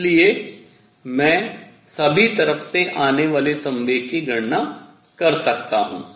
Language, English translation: Hindi, So, I can calculate the momentum coming from all sides